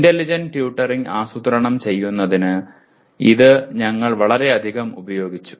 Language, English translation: Malayalam, So this we have used it extensively in planning intelligent tutoring